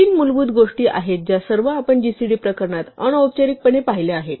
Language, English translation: Marathi, There are three fundamental things all of which we have see informally in the gcd case